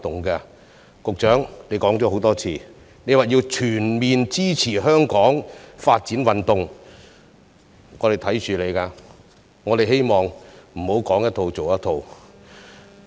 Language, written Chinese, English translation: Cantonese, 局長，你多次表示要全面支持香港發展運動，我們會緊盯着你，希望你不要"說一套、做一套"。, Secretary as you have repeatedly said that you will give full support to Hong Kongs sports development we will keep a close eye to see if you will merely talk the talk but not walk the walk